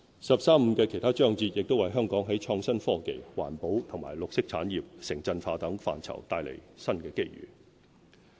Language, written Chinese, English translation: Cantonese, "十三五"的其他章節亦為香港在創新科技、環保和綠色產業、城鎮化等範疇帶來新機遇。, Other chapters of the National 13 Five - Year Plan also bring new opportunities for Hong Kong in areas such as innovation and technology environmental and green industries and urbanization